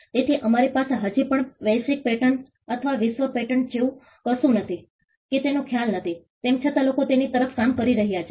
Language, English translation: Gujarati, So, we still do not have something like a global patent or a world patent that concept is still not there, though people are working towards it